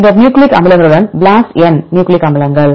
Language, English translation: Tamil, Then BLASTn nucleic acids with the nucleic acids